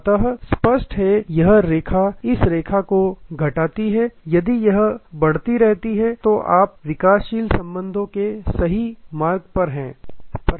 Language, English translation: Hindi, So; obviously, this line minus this line if that keeps growing, then you are on the right track of developing relationship